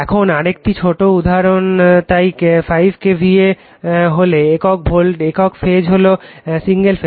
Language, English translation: Bengali, Now, another small example so, if 5 KVA, single phase it is 1 ∅